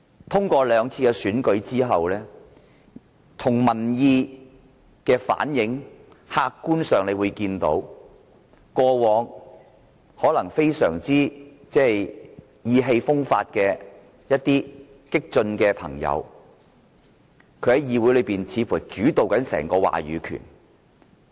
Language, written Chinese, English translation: Cantonese, 通過今年兩次選舉及民意的反映，客觀上可看到過往一些非常意氣風發的激進朋友，似乎主導了議會整個話語權。, Objectively speaking the two elections this year and the opinion polls show that the right to discourse of this Council seems to be seized by those radical Members who used to behave in a spirited way